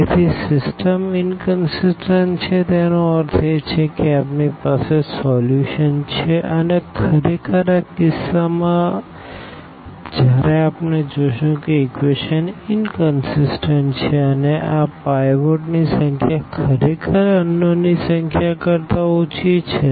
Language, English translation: Gujarati, So, the system is consistent means we will have solutions and in the indeed in this case when we see that the equations are consistent and this number of pivots are less than actually the number of unknowns